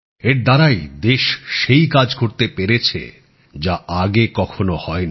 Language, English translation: Bengali, This is why the country has been able to do work that has never been done before